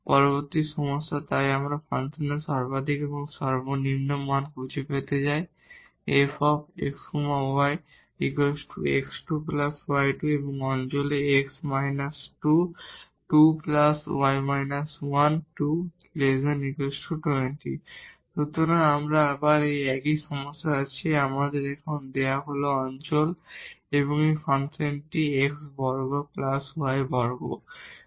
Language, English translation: Bengali, Next problem so, we want to find the maximum and the minimum value of this function x square plus y square and in the region x minus 2 whole square plus y minus 1 whole square minus a 20